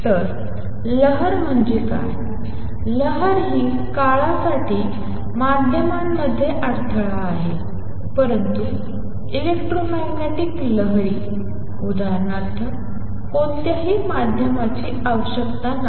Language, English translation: Marathi, So, what a wave is; a wave is a disturbance in a media for the time being, but electromagnetic waves; for example, do not require any medium